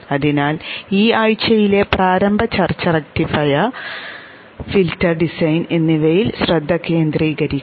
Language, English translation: Malayalam, So the initial discussion this week will focus on the rectifier and filter design